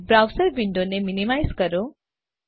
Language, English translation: Gujarati, Minimize your browser window